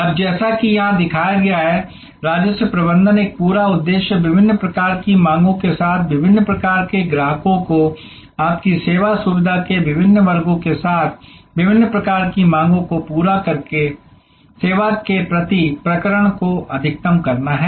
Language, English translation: Hindi, Now, as it is shown here, a whole purpose of revenue management is to maximize the revenue per episode of service by matching different types of demands, different types of customers with different paying capacities with different sections of your service facility